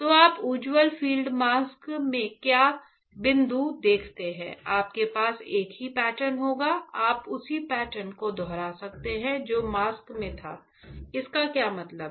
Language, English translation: Hindi, So, what is a point you see in bright field mask, you will have the same pattern; you can replicate the same pattern which was there in the mask what does that mean